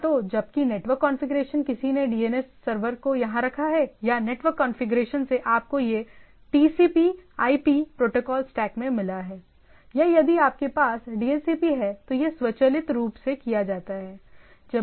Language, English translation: Hindi, Either you while network configuration somebody has put the DNS server here or from the network administrator you got it in the TCP/IP protocol stack etcetera, or that automatically done if you have a DHCP type of things which when you put the systems it loads the things